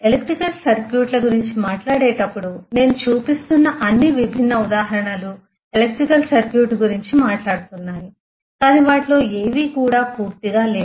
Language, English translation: Telugu, In terms of talking about electrical circuits all the different examples that I was showing all of them talk of electrical circuit but none of them is complete in itself